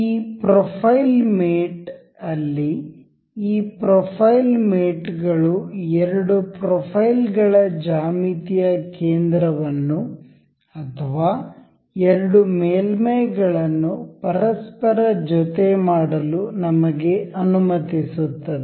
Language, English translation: Kannada, In this profile mate, this profile mates allows us to align the center geometric center for two profiles or two surfaces to align over each other